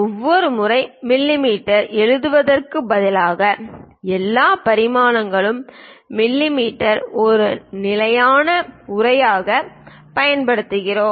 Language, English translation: Tamil, Instead of writing every time mm, we use all dimensions are in mm as a standard text